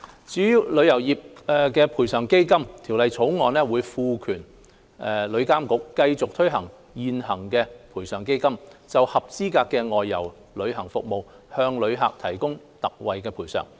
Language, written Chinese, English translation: Cantonese, 至於旅遊業賠償基金，《條例草案》會賦權旅監局繼續推行現行的賠償基金，就合資格的外遊旅行服務向旅客提供特惠賠償。, Regarding the Travel Industry Compensation Fund the Bill will empower TIA to continue running the current Compensation Fund to provide travellers with ex gratia payments in respect of eligible outbound travel services